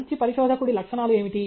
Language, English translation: Telugu, What are the attributes of a good researcher